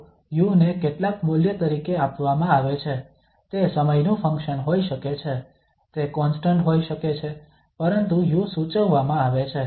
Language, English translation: Gujarati, So u is given as some, it could be a function of time, it could be constant but the u is prescribed